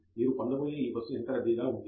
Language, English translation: Telugu, How crowded this bus that you are going to get in to is